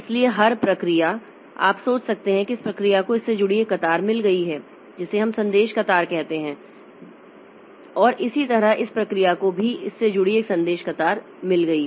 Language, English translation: Hindi, So, every process you can think that this process has got a queue associated with it which we call the message queue, which we call the message queue